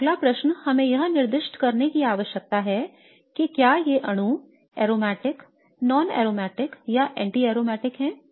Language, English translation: Hindi, Now the next question is we need to assign whether these molecules are aromatic, non aromatic or anti aromatic